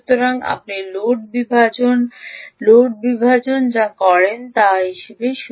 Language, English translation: Bengali, so you do what is known as loads splitting